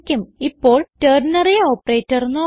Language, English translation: Malayalam, Now we shall look at the ternary operator